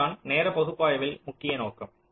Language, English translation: Tamil, so this is the main objective of timing analysis